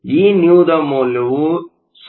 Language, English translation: Kannada, And, Vnew is 0